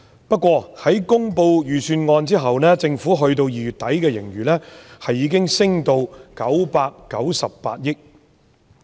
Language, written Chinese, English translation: Cantonese, 不過，在公布預算案之後，政府2月底公布的盈餘已經上升至998億元。, However after the delivery of the Budget the Government announced at the end of February that the surplus increased to 99.8 billion